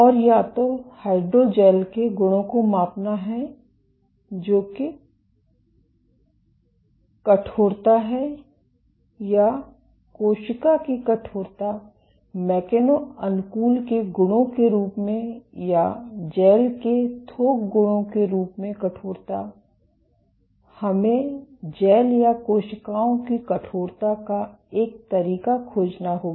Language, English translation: Hindi, And to either measure the properties of the hydrogel that is stiffness or the cell stiffness as an attribute of cell mechano adaptation or the bulk properties of the gel, we have to find a way of quantifying stiffness of gels or cells